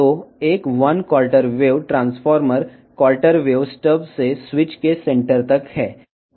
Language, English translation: Telugu, So, one quarter wave transformer is from the quarter wave step to the centre of the switch, here it is open